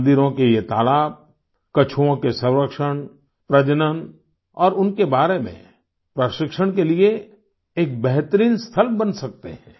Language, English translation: Hindi, The ponds of theses temples can become excellent sites for their conservation and breeding and training about them